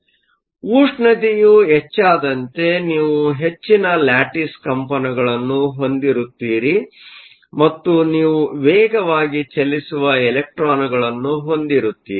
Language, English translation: Kannada, So, this make sense, because the temperature increases you have greater lattice vibrations and also you have electrons there are traveling faster